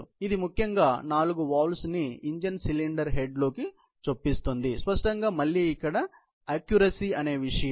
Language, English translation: Telugu, So, it basically, inserts four valves into an engine cylinder head; obviously, matter of precision again